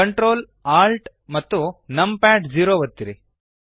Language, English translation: Kannada, Press Control, Alt Num Pad zero